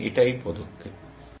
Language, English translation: Bengali, That is the step here